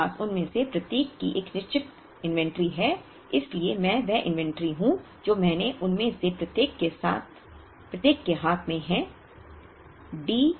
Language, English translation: Hindi, I have a certain inventory of each of them so I j is the inventory that I have of each of them on hand